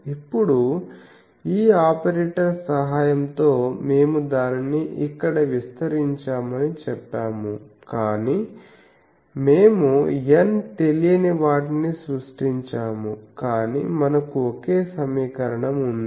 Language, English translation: Telugu, Now, we have said this operator with the help of that we have expanded it here, but we have created n unknowns, but we have only one equation